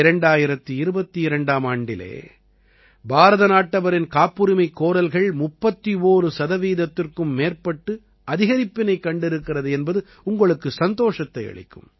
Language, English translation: Tamil, You will be pleased to know that there has been an increase of more than 31 percent in patent applications by Indians in 2022